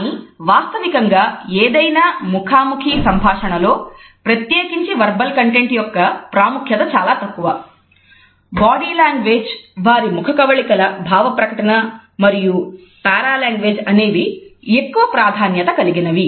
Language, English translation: Telugu, But the fact remains that in any face to face communication particularly the verbal content is the least important, what is more important is the body language, the kinesics aspects of it their facial features and the paralanguage